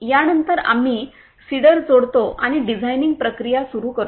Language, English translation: Marathi, After that we connect the seeder and start the designing process